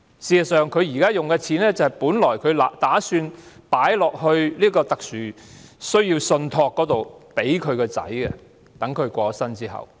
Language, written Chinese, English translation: Cantonese, 事實上，她現時用的藥費，本來打算存到特殊需要信託，在她過世後供兒子使用。, As a matter of fact the money now she spends on this drug is supposed to be put into the Special Needs Trust for the use of her son after her death